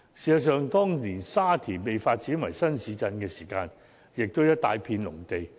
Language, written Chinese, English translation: Cantonese, 事實上，當年沙田被發展為新市鎮時，也不過是一大片農地。, In fact before Sha Tin was developed into a new town the place was just a large piece of farmland